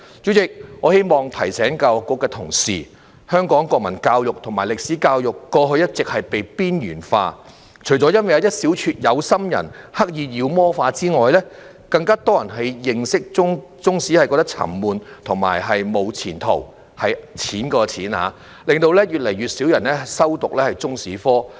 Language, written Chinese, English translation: Cantonese, 主席，我希望提醒教育局的同事，香港國民教育和歷史教育過去一直被邊緣化，除了因為一小撮有心人刻意把它妖魔化之外，更多人認為中史沉悶和"無錢途"——是金錢的"錢"——令越來越少人修讀中史科。, President I would like to remind the staff in the Education Bureau that national education and history education in Hong Kong have all along been marginalized in the past . Apart from the deliberate demonization by a small bunch of people with ill intention it is also because more people consider that Chinese History is boring and lacks prospects in that it has no prospect of making money . As a result fewer and fewer people study Chinese History